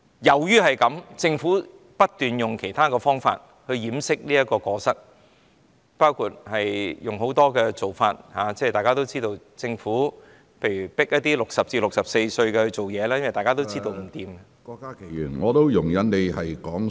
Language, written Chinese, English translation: Cantonese, 基於這個原因，政府不斷以其他方法掩飾過失，包括透過很多做法，例如強迫60至64歲的人工作，因為大家都知道這樣不行......, That is the reason why the Government keeps using other means to cover up its errors; it did so through many measures such as forcing people aged 60 to 64 to work because everyone knows that this is not workable